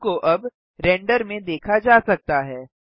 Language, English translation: Hindi, The cube can now be seen in the render